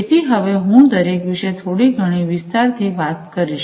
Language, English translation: Gujarati, So, I am going to talk about each of these, in little bit more detail now